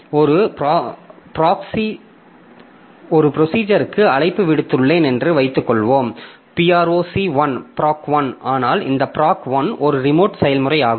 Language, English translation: Tamil, So, what I mean is that suppose I have given a call to a procedure, say, proc 1, but this proc 1 happens to be a remote process